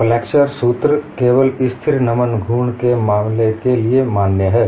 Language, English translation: Hindi, Flexure formula is valid, only for the case of constant bending moment